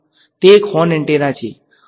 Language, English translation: Gujarati, It is a horn antenna right